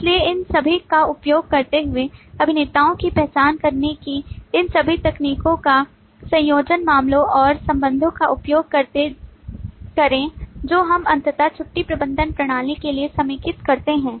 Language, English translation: Hindi, So, using all this, combining all these techniques of identifying actors, use cases and relationship, we finally consolidate for the leave management system